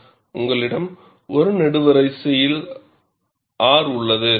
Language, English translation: Tamil, There is a column, where you have R